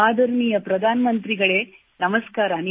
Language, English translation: Kannada, Namaskar, Respected Prime Minister